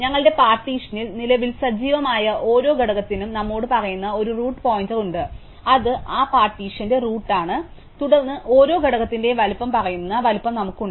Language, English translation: Malayalam, We have a root pointer which tells us for each component which is currently active in our partition, which is the root of that partition and then we have the size which tells us the size of each component